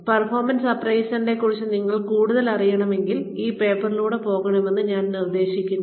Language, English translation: Malayalam, I suggest that, if you really want to know more about performance appraisal, you should go through this paper